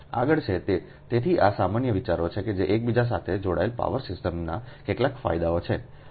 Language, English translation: Gujarati, next is, so these are general ideas that some advantages of interconnected power system